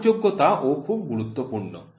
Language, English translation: Bengali, Readability is also very important